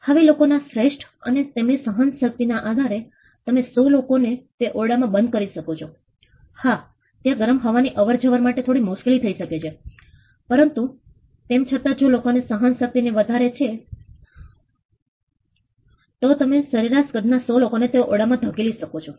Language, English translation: Gujarati, Now at best and depending on the tolerance level of people you could cramp enclose to 100 people into that room yes it gets tough the air gets hot ventilation becomes a problem, but still if people tolerance limit this high you may be able to push in 100 people into a room of average size